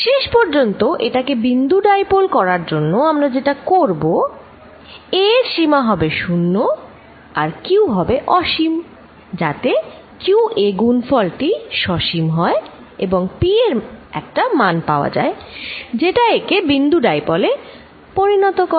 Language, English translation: Bengali, To make it a point dipole finally, what we are going to do is take limit ‘a’ going to 0 and q going to infinity, such that product qa remains finite and equal to some p value that makes it a point dipole